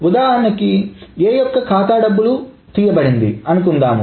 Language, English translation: Telugu, Essentially, suppose A's account has been debited